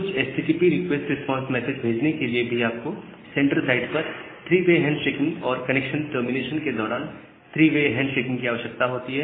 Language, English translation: Hindi, So, just to send a few HTTP request response message, you require three connection at three way handshaking at the sender side and a three way handshaking during the connection termination as well